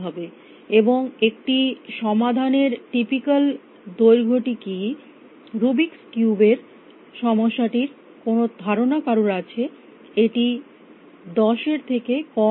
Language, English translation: Bengali, And what is a typical length of a solution any idea of Rubik’s cube problem is it less than 10 or more then 10